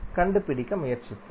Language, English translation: Tamil, Let's try to find out